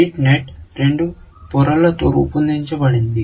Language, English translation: Telugu, The Rete net is made up of two layers